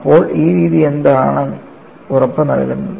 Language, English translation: Malayalam, So, what does this method guarantee